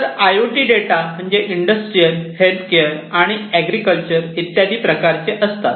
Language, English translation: Marathi, IoT data like industrial data, healthcare data, agricultural data, and so on